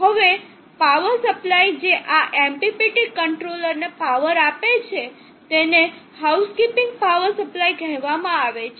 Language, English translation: Gujarati, Now the power supply that powers of this MPPT controller is called the house keeping power supply from where should it draw the power